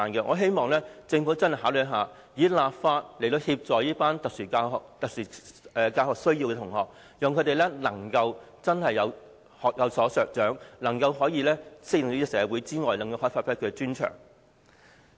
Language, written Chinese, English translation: Cantonese, 我希望政府會認真考慮，立法協助有特殊教育需要的學生，令他們可以學有所長，適應社會之餘，也能發揮專長。, I hope the Government will give it serious consideration so as to enact legislation to help SEN students learn adapt to society and bring their strengths into full play